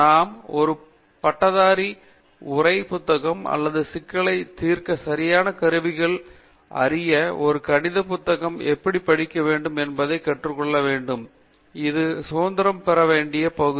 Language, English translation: Tamil, We should be able to learn how to read an under graduate text book or even a math's level text book to learn the appropriate tools to solve a problem, that part we have to get that independence